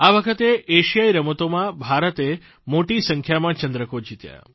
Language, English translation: Gujarati, This time, India clinched a large number of medals in the Asian Games